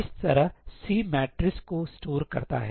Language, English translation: Hindi, That is the way C stores the matrices